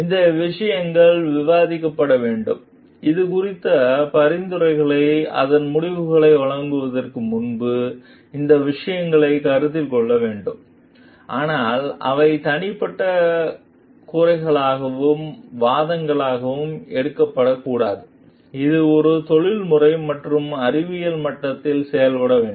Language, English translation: Tamil, These things needs to be debated, these things needs to be considered before like we give a suggestions on it, decisions on it, but they should not be taken as personal grievances and arguments, it should be done at a professional and scientific level